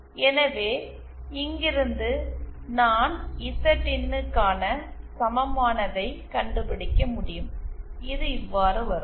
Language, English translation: Tamil, So, then from here, I can find out Zin as equal to and this comes out to be